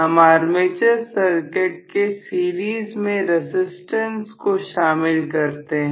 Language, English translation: Hindi, We are going to include a resistance in series with the armature